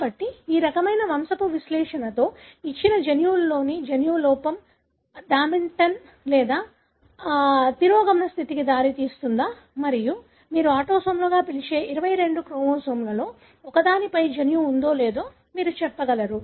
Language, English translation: Telugu, So, with this kind of pedigree analysis, you will be able to tell whether a gene or defect in a given gene results in a dominant or recessive condition and the gene is located on one of the 22 chromosomes which you call as autosomes